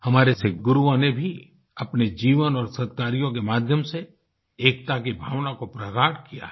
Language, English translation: Hindi, Our Sikh Gurus too have enriched the spirit of unity through their lives and noble deeds